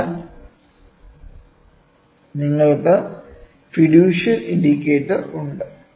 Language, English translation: Malayalam, So, you have this fiducial indicator which is there